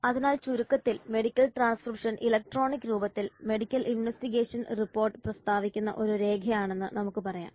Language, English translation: Malayalam, So in summary we can say that medical transcription is a document that states the medical investigation report in electronic form